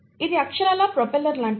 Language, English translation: Telugu, This is literally like the propeller